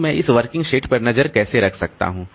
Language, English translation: Hindi, So, how can I keep track of this working set